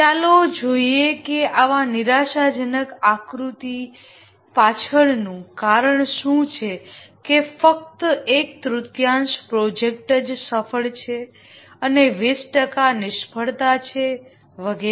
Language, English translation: Gujarati, Let's see what is the reason behind such a dismal figure that only one third of the projects is successful and 20% are failure and so on